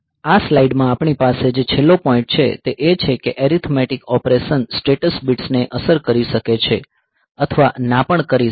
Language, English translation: Gujarati, So, that is the thing the last point that we have here in this slide is that it is the arithmetic operations may or may not affect the status bits